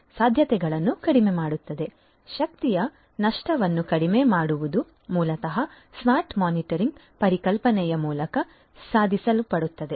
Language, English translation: Kannada, So, reduction in energy loss is basically achieved through the smart metering concept